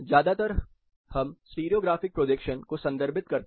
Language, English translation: Hindi, Mostly we refer to stereo graphic projection